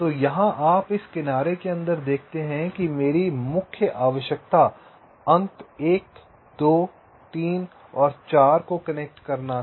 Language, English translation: Hindi, so here you see, just just inside this edge, my main requirements was to connect the points one, two, three and four